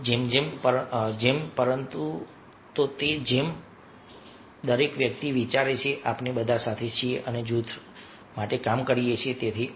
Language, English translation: Gujarati, but everybody is thinking that we all are together and working for the group